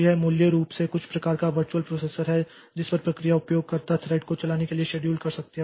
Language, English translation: Hindi, So, this is basically some sort of virtual processor on which process can schedule user thread to run